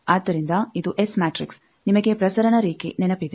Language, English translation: Kannada, So, this is the S matrix you remember transmission line